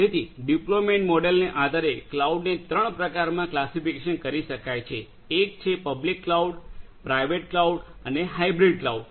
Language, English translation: Gujarati, So, based on the deployment model the cloud can be classified into three types one is the public cloud, private cloud and the hybrid cloud